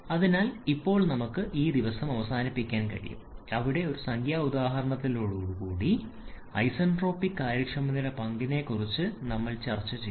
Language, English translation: Malayalam, So, today we shall be starting with a numerical example where we are going to use that concept of the isentropic efficiency